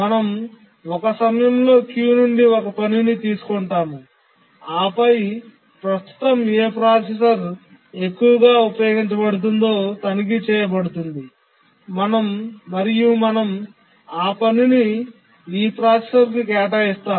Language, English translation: Telugu, We take out one task from the queue at a time and check which is the processor that is currently the most underutilized processor